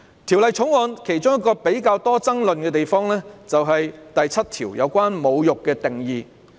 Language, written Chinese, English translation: Cantonese, 《條例草案》其中一個較具爭議之處，是第7條有關"侮辱"的定義。, It is also an important manifestation of one country two systems . One of the more controversial points in the Bill is the definition of insult in clause 7